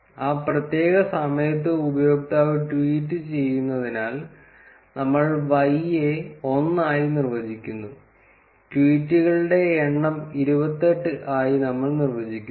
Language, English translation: Malayalam, Since, the user a is tweeting at that particular time, we define Y as 1; and we define number of tweets to be 28